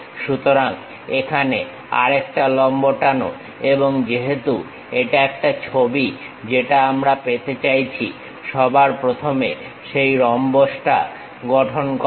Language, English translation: Bengali, So, here drop one more perpendicular and because it is a sketch what we are trying to have, first of all construct that rhombus